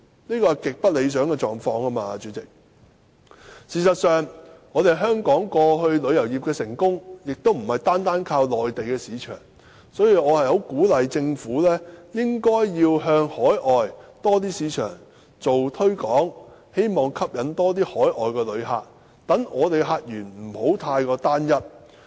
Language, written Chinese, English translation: Cantonese, 主席，這是極不理想的狀況。事實上，香港旅遊業以往的成功亦非單靠內地市場，所以我十分鼓勵政府向更多海外市場進行推廣，希望吸引更多海外旅客，令香港的客源不要過於單一。, In fact the success of the tourism industry of Hong Kong in the past did not rely merely on the Mainland market . Hence I encourage the Government to conduct more promotion on Hong Kong in overseas markets with a view to attracting more overseas tourists so that Hong Kong does not have to rely on one single tourist source